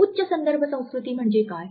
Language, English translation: Marathi, What is high context culture